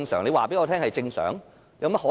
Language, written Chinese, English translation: Cantonese, 你告訴我這是正常，怎麼可能？, You tell me it is normal but how can it possibly be?